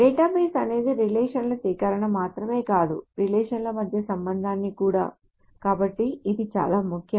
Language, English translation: Telugu, So the database is not just the collection of the relations, but also the connections between the relations